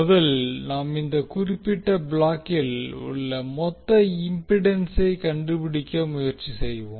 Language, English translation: Tamil, We will first try to find out the total impedance of this particular block